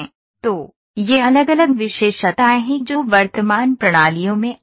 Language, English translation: Hindi, So, these are different features those are coming in the current systems